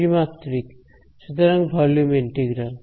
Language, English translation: Bengali, In three dimensions; so volume integral